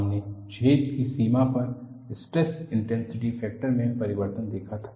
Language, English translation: Hindi, We had seen the variation of stress intensity factor on the boundary of the hole